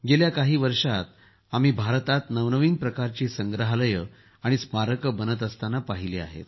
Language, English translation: Marathi, In the past years too, we have seen new types of museums and memorials coming up in India